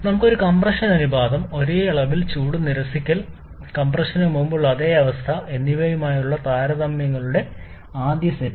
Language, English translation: Malayalam, First set of comparison where we have the same compression ratio, same amount of heat rejection and same state before compression